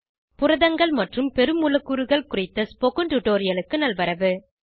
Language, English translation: Tamil, Welcome to this tutorial on Proteins and Macromolecules